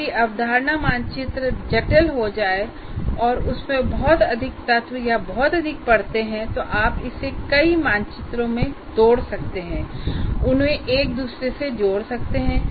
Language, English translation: Hindi, If the concept map becomes unwieldy, there are too many elements, too many layers in that, then you can break it into multiple maps and still link one to the other